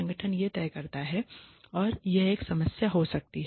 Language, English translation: Hindi, The organization decides this and that can be a problem